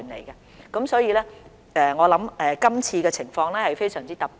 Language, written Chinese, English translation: Cantonese, 因此，我認為今次的情況非常特殊。, Therefore I think the situation this time is really exceptional